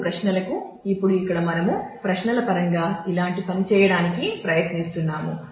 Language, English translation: Telugu, Now, to queries; now here we are trying to do the similar thing in terms of queries